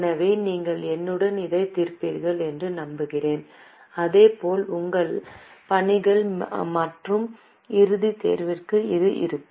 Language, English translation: Tamil, So, I hope you solve it with me and similar way it will be for your assignments and final examination as well